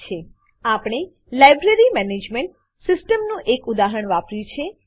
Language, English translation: Gujarati, We have used the example of a Library Management system